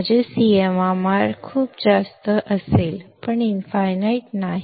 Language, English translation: Marathi, My CMRR would be very high; but not infinite